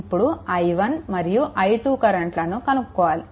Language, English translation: Telugu, And you have to solve for i 1 and i 2